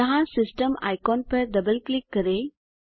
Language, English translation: Hindi, Once here, double click on the System icon